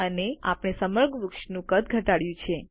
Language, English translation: Gujarati, And we have reduced the size of the whole tree